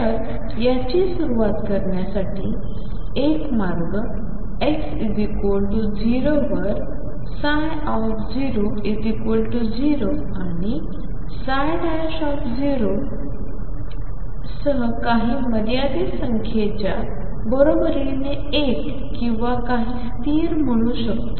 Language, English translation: Marathi, So, one way of constructing could be start at x equal to 0 with psi 0 equals 0 and psi prime 0 equals some finite number let us say 1 or some constant